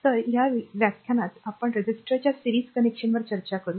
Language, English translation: Marathi, So, in this lecture we will discuss that series connection of the resistor